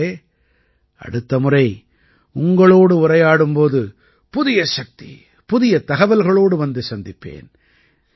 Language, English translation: Tamil, Friends, the next time I converse with you, I will meet you with new energy and new information